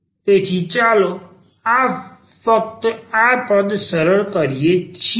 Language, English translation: Gujarati, So, let us just simplify this term